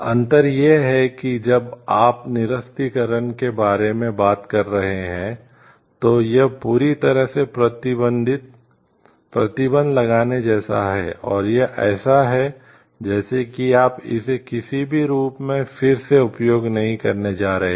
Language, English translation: Hindi, The difference is like when you are talking of a disarmament, it is totally like banning and it is like you are not going to use it in any form again